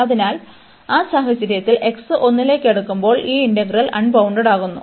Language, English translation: Malayalam, And also when x is approaching to 1, this integrand is getting unbounded